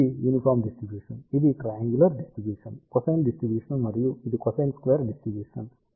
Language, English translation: Telugu, So, this is the uniform distribution, this is the triangular distribution, cosine distribution, and this is cosine squared distribution